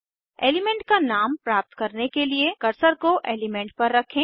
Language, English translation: Hindi, To get the name of the element, place the cursor on the element